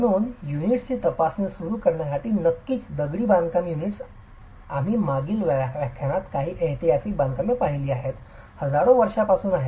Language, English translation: Marathi, So, to start examining units, of course masonry units, you've seen some historical constructions in the previous lecture has been around for millennia